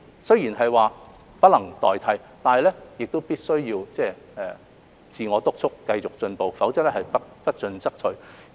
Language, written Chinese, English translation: Cantonese, 雖然是不能代替，但必須要自我督促，繼續進步，否則不進則退。, Although they are irreplaceable we must keep pushing ourselves for improvement to avoid falling back